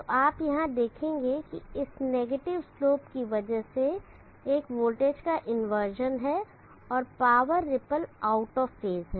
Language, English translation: Hindi, So you will see that here, because of this negative slow there is an inversion the voltage and the power ripples are out of phase